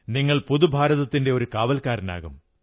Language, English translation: Malayalam, You'll become a sentinel of New India